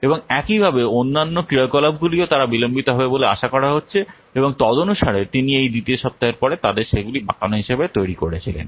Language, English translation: Bengali, And similarly what other activities also they are expected to be delayed and accordingly he had made them as a banded after this second week